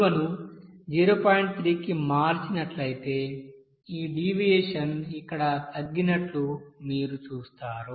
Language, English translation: Telugu, 3 you will see that this you know deviation is coming to reduced here